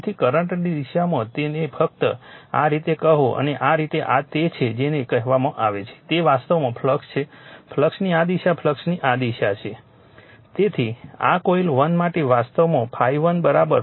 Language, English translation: Gujarati, So, in the direction of the current you grabs it right just you call it like this and this way this is that you are what you call this is the flux actually , this direction of the flux this is the direction of the flux